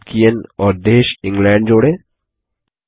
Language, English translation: Hindi, Tolkien, and country asEngland 4